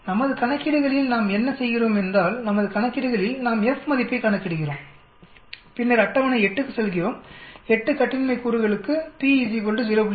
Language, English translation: Tamil, Whereas in our calculations what we do is, in our calculations we calculate F value and then we go to the table 8 comma 8 degrees of freedom for p is equal to 0